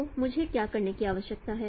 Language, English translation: Hindi, So this is what we need to